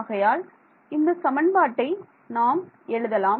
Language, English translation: Tamil, So, let us write actually what we should we do is write down the equation